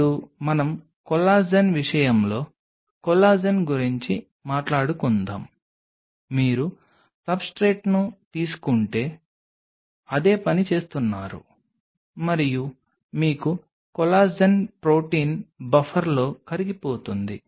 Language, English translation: Telugu, Now let us talk about Collagen in the case of collagen again you are doing the same thing you take a substrate and you have a collagen protein dissolve in a buffer